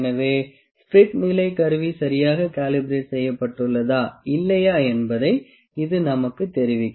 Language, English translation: Tamil, So, this will tell us that is the spirit, this instrument properly calibrated or not